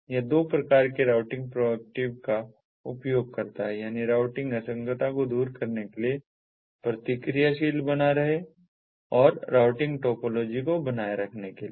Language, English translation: Hindi, it uses two types of routing: proactive routing for maintaining routing topology and reactive for dissolving routing inconsistencies